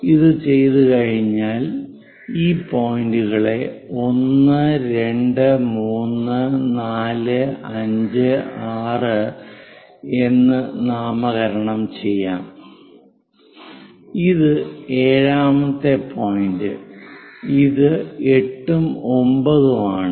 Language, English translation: Malayalam, Once it is done, let us name these points 1, 2, 3, 4 all the way 5, 6, this is the 7th point, 8th, 9